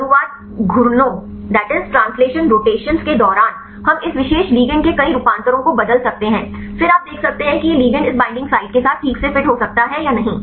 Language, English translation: Hindi, During these translation rotations, we can change several conformation of this particular ligand then you can see whether this ligand can fit with this binding site right fine